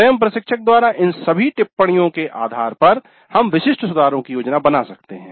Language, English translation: Hindi, So based on all these observations by the instructor herself we can plan specific improvements